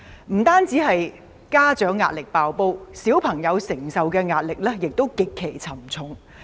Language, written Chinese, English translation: Cantonese, 不單家長壓力"爆煲"，小朋友承受的壓力，亦極其沉重。, Not only are the parents overstretched the children are also under immense pressure